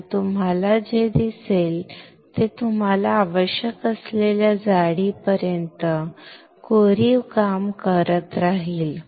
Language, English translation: Marathi, And what you will see is it will keep on etching until the thickness that you require